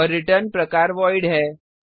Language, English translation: Hindi, And the return type is void